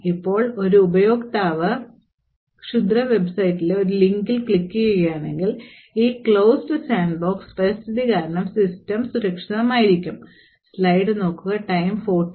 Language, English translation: Malayalam, Now, if a user clicks on a link in a malicious website the system would still remain secure, because of this closed sandbox environment